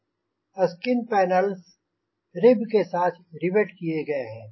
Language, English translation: Hindi, skin panels are riveted to ribs ribs